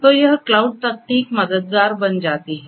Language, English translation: Hindi, So, this is where this cloud technology becomes helpful